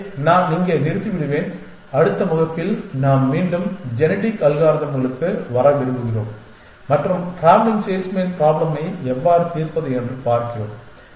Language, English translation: Tamil, So, I will stop here and in the next class, we want to come back to genetic algorithms and look at how to solve the traveling salesman problem